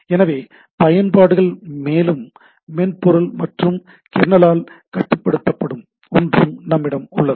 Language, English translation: Tamil, So, applications and then we have something which is controlled by the software and kernel